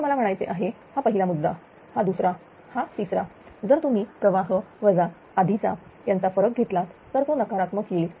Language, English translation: Marathi, So, I mean this is that first point, this is the second, this is third if you take the difference of the current minus the previous then it will be negative